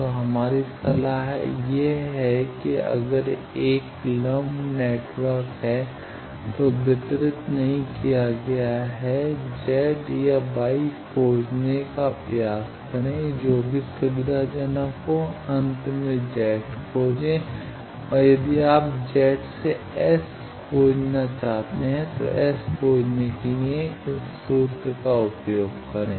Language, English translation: Hindi, So, our advice is if a lumped element is there not a distributed 1 try to find its Z or Y whichever is convenient then finally, find Z and if you want to find S from Z, use this formula to find S